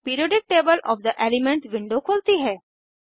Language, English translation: Hindi, Periodic table of the elements window opens